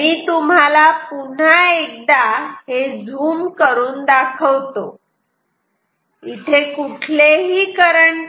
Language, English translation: Marathi, So, let me zoom it in an tell you once again that there is no current here